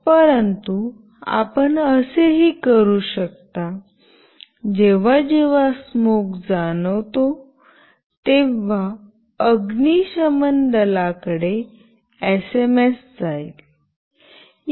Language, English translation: Marathi, But you can also do something like this; whenever smoke is sensed an SMS should go to the fire brigade